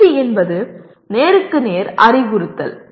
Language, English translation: Tamil, Tutoring is one to one instruction